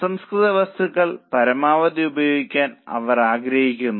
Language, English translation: Malayalam, They want to optimally use the raw material